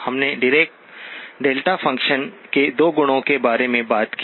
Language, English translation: Hindi, We talked about 2 properties of the Dirac delta function